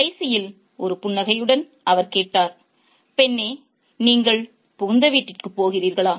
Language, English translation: Tamil, In the end with a smile, he asked, girl, are you going to the in law's house